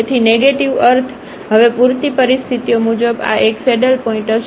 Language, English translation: Gujarati, So, negative means, as per the sufficient conditions now, this will be a saddle point